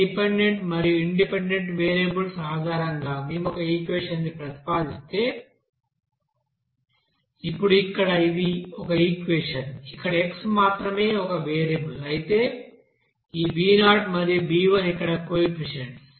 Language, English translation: Telugu, Now if we propose an equation based on this dependent variable and independent variables like then Now here this is an equation, which is only one variable here x, whereas this b0 and b1 these are coefficients